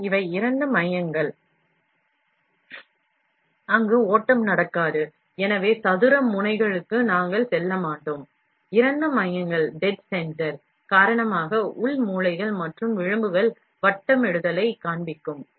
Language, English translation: Tamil, So, these are dead centers, where in which the flow will not happen, so we do not go for square nozzles Internal corners and edges will also exhibit rounding, because of dead centre